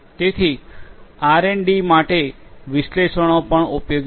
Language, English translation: Gujarati, So, for R and D also analytics is useful